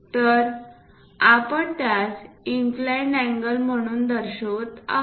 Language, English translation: Marathi, So, we are showing it as inclined angle